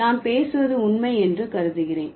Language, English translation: Tamil, Like what I speak, I assume that it's true